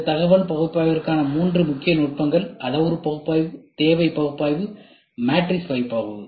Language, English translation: Tamil, Three main techniques for this information analysis can be parametric analysis, need analysis, and matrix analysis, ok